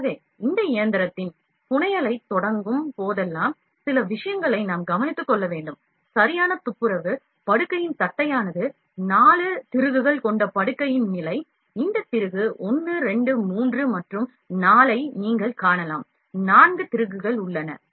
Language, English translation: Tamil, So, whenever we start the fabrication of this machine we have to take care of few things, like proper cleaning, flatness of the bed and we cannot, just a level of the bed with 4 screws, you can see this screw, 1 2 3 and 4; 4 screws are there